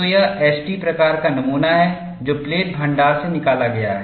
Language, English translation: Hindi, So, this is the S T type of specimen taken out from the plate stock